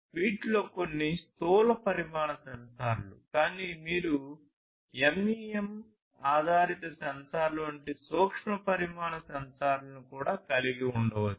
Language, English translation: Telugu, So, there are some these are like you know macro sized sensors, but you could also have micro sized sensors which are like MEMs based sensors, there could be nano sensors also